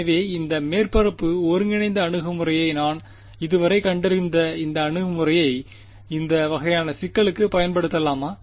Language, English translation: Tamil, So, can I apply this approach that I have discovered so far this surface integral approach can I use it to this kind of a problem